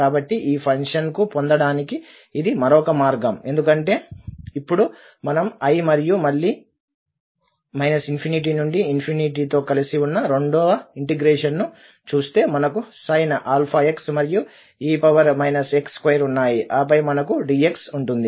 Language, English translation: Telugu, So this is the other way of treating this function simply because now if we look at the second integral which is together with i and again this minus infinity to plus infinity, we have the sin alpha x and e minus a here x square and then we have dx